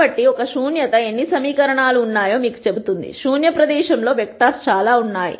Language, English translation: Telugu, So, the nullity of a tells you how many equations are there; there are so, many vectors in the null space